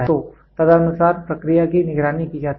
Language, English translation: Hindi, So, accordingly the process is monitored